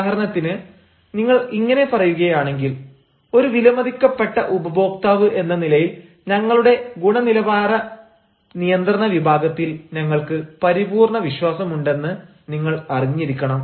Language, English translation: Malayalam, for example, if you say: as a valued customer, you should know that we have full faith in our quality control division